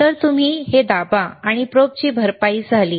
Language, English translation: Marathi, So, you press this and the probe compensation is done